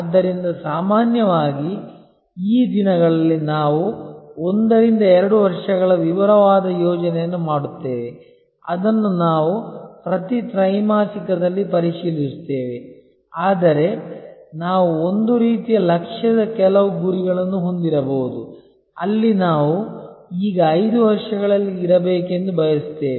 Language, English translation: Kannada, So, normally these days we will do 1 to 2 years detailed plan which we will review every quarter, but we may have a kind of a Lakshya some aim, where we want to be in 5 years from now